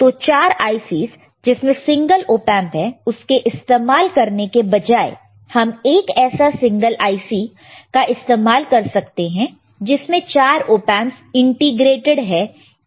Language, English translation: Hindi, So, instead of using 4 ICs which is single Op Amp, you can use one single IC which are all 4 Op Amps integrated into one single IC